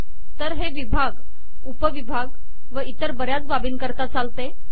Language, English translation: Marathi, So this works for sections, sub sections and so on